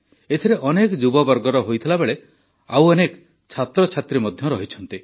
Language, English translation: Odia, In that, there are many young people; students as well